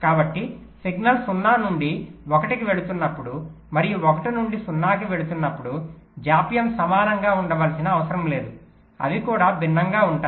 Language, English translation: Telugu, so the delays when a signal is going from zero to one and going from one to zero may need not necessary be equal, they can be different also